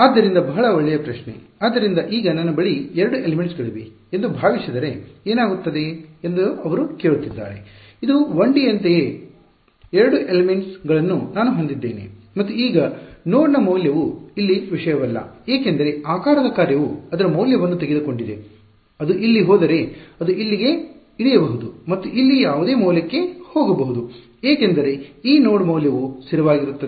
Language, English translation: Kannada, So very good question; so, he has the asking what happens supposing I have 2 elements like this ok, it is the same as in the case of 1D I had 2 elements the value of this node over here did not matter, because supposing the shape function took its value over here then it can go down to here and go up to whatever value over here, because this node value was constant